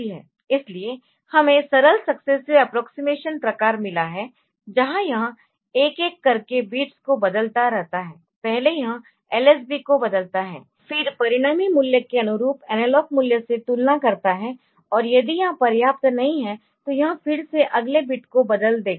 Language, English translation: Hindi, So, we have got simple successive approximation type, where it changes just go on change goes on changing the bits one by one, first it changes the lsb then compares the resulting value with the corresponding analog value